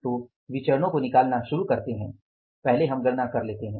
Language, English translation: Hindi, So, before starting working out the variances, first let us do the some calculations